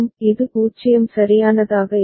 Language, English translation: Tamil, It will be the 0 right